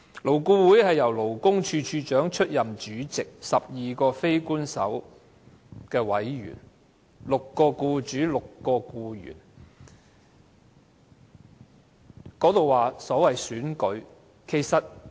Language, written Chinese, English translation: Cantonese, 勞顧會由勞工處處長出任主席，共有12名非官方委員，分別由僱主及僱員方面的6名代表出任"。, The Commissioner for Labour is the chairman of LAB which has 12 unofficial members six representing employers and six representing employees